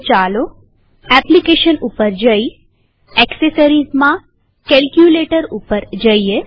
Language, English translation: Gujarati, So lets go to Applications gtAccessories gtCalculator